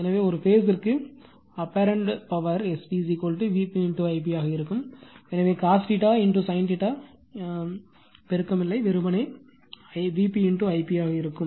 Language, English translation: Tamil, So, the apparent power per phase will be S p will be is equal to V p into I p right, so no multiplied of cos theta sin theta, simply will be V p into I p